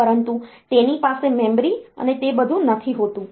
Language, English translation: Gujarati, But it does not have memory and all that